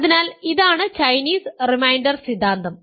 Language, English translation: Malayalam, So, this is the Chinese reminder theorem